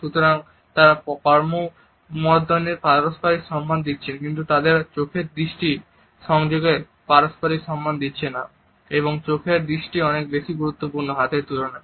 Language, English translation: Bengali, So, they give that mutual respect of a handshake by they do not give that mutual respect of the eye contact and the eye contact is way more important than the hand